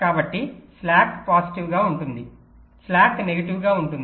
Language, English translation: Telugu, so slack can be positive, slack can be negative